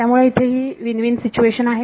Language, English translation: Marathi, So, that is the win win situation over here